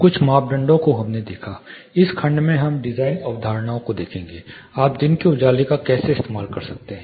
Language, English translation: Hindi, Luminance few parameters we looked at in this section we will look at design concepts, how you can harvest day lighting